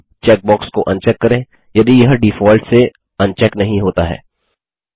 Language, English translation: Hindi, Uncheck the Footer on checkbox if it is not unchecked by default